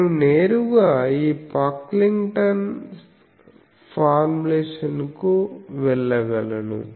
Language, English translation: Telugu, So, I can directly go to this Pocklington’s formulation that